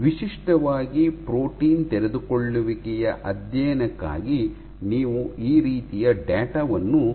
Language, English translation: Kannada, So, typically for protein unfolding studies you do not plot the data right this, but rather